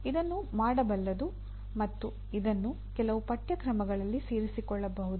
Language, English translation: Kannada, This is doable and it can be incorporated into some of the courses